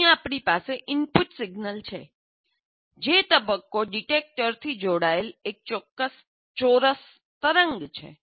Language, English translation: Gujarati, That means you have an input signal which is square wave here to this and this is a phase detector